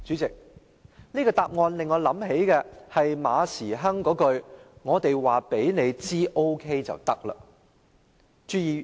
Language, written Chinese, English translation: Cantonese, 這個答案令我想起馬時亨那一句"我們告訴你 OK 便行了"。, This answer reminds me of Frederick MAs remark that if we tell you it is OK then it is